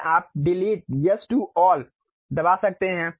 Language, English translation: Hindi, Then you can press Delete, Yes to All